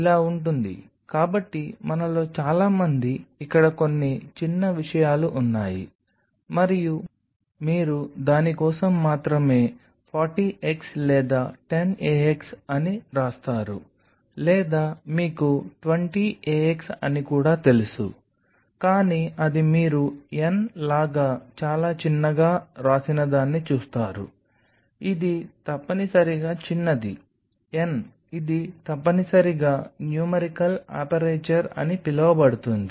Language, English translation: Telugu, So, out here there is some small things which most of us and you only look for it is written 40 x or 10 a x or you know 20 a x like you know likewise so and so forth, but that you will see something very small written like n, which is essentially small n which is essentially call the numerical aperture is called numerical aperture